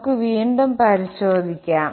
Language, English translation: Malayalam, Let me write it again